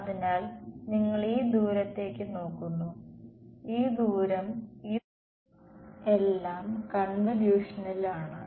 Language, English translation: Malayalam, So, you have looking at this distance, this distance this all of these distances in this in convolution